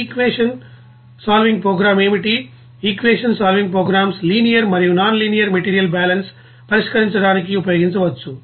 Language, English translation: Telugu, Now what is that equation solving programs, the equation solving programs can be use to solve linear and nonlinear material balance